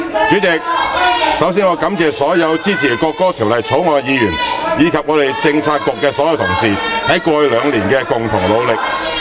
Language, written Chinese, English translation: Cantonese, 主席，首先我感謝所有支持《國歌條例草案》的議員，以及我們政策局的所有同事，在過去兩年的共同努力......, President first of all I have to thank all Members who support the National Anthem Bill as well as all colleagues in the Policy Bureau for their joint effort in the past two years